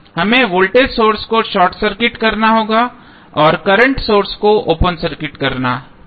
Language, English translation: Hindi, We have to short circuit the voltage source and open circuit the current source